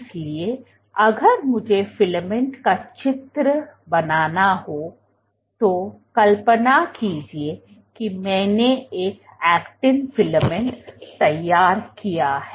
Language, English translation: Hindi, So, if I were to draw filament, imagine I have drawn an actin filament